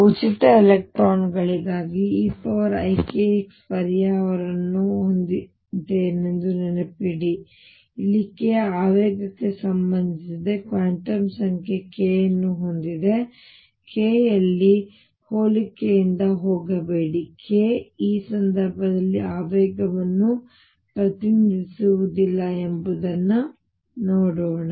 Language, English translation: Kannada, Recall that for free electrons I had the solution e raise to i k x, where k was related to momentum here also I am going to have a quantum number k, but please do not go by the similarity in the notation k does not represent the momentum in this case as we will see